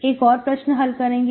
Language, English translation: Hindi, So we will do one more problem